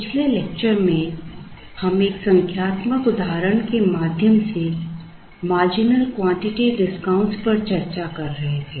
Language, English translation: Hindi, In the previous lecture, we were discussing marginal quantity discount through a numerical example